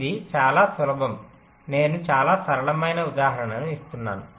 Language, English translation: Telugu, i am giving a very simple example